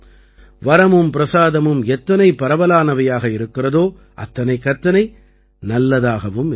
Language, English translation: Tamil, The more the boon and the blessings spread, the better it is